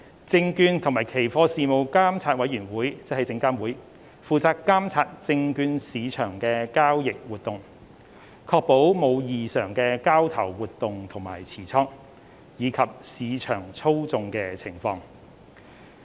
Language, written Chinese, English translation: Cantonese, 證券及期貨事務監察委員會負責監察證券市場的交易活動，確保無異常的交投活動及持倉，以及市場操控的情況。, The Securities and Futures Commission SFC is responsible for regulating the trading activities in the securities market to ensure that there is no abnormal trading and position holding as well as market manipulation